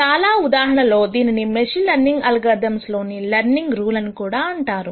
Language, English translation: Telugu, In many cases this is also called the learning rule in machine learning algorithms